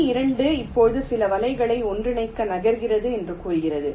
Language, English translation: Tamil, step two says: now we move to merge some of the nets